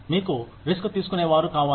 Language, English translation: Telugu, You need risk takers